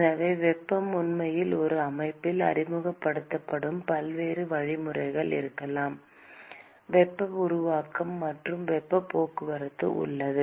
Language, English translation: Tamil, So, there could be many different mechanisms by which heat is actually being introduced into a system, and so, there is a simultaneous heat generation and heat transport